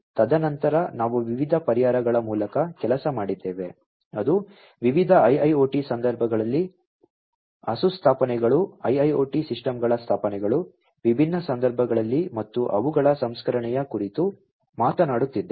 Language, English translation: Kannada, And then we worked through different solutions, that are talking about installations in different IIoT contexts installations of IIoT systems, in different contexts and their processing